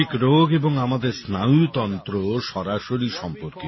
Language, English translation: Bengali, Mental illnesses and how we keep our neurological system are very directly related